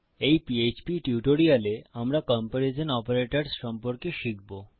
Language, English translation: Bengali, In this PHP tutorial we will learn about Comparison Operators